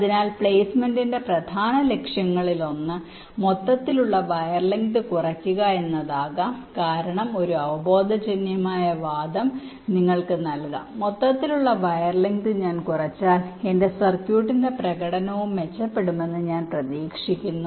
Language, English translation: Malayalam, so one of the main objectives of placement may be to reduce the overall wire length, because one intuitive argument you can give that if i minimize the overall wire length it is expected that the performance of my circuit will also improve